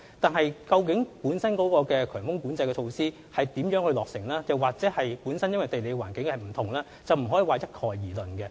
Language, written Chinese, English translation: Cantonese, 但是，強風交通管制措施如何落實，或會因為地理環境不同而有差別，不可一概而論。, Yet due to the differences in geographical conditions the measures to be taken may vary from place to place; there is no single measure for high wind traffic management